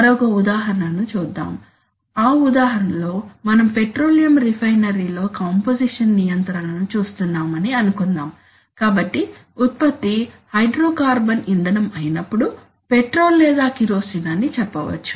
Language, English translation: Telugu, Let us look at another example, so in that example, suppose we are looking at composition control in a petroleum refinery, so what is the product there the product is some hydrocarbon fuel, let us say petrol or let us say kerosene